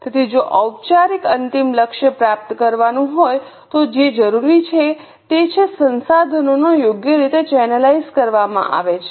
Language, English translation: Gujarati, So, if the formal, final goal is to be achieved, what is required is the resources are properly channelized